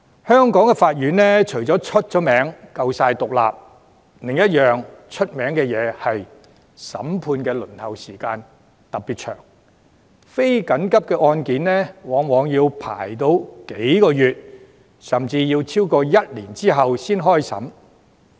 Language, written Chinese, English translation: Cantonese, 香港法院除了以獨立聞名外，審判輪候時間長亦很聞名，非緊急案件往往要排期數個月，甚至超過一年後才開審。, Apart from their independence the Courts of Hong Kong are also notorious for the long waiting time . Non - urgent cases are often scheduled for trial months or even more than a year later